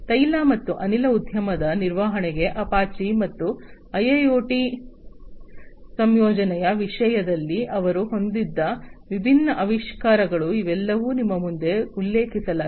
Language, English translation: Kannada, Apache for oil and gas industry maintenance, and the different innovations that they have had in terms of the incorporation of IIoT, these are all mentioned in front of you